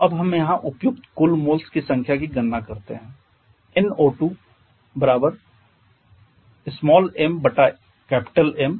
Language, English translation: Hindi, So let us calculate the total number of moles involved here